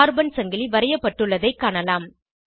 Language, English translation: Tamil, We see that carbon chain is drawn